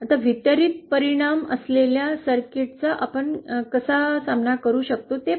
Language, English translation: Marathi, Let us see how we can deal with a circuit which has the distributed effects